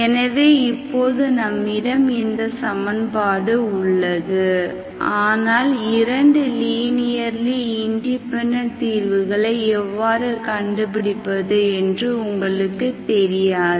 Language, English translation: Tamil, In this interval, so you have, now we have this equation, you do not know how to find 2 linearly independent solutions